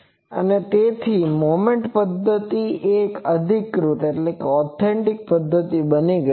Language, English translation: Gujarati, And so moment method has now become an authentic method